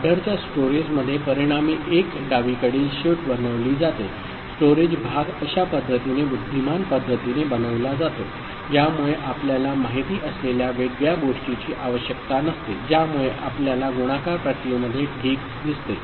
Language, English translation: Marathi, In storage of adder result, one left shift is made so, the storage part is made in such a manner, intelligent manner, that we do not require an any separate you know, shifting that we see in the multiplication process ok